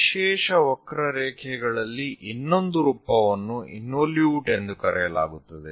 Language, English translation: Kannada, The other form of special curve is called involute